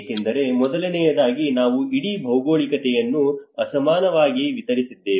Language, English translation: Kannada, Because first of all, we are the whole geography has been unevenly distributed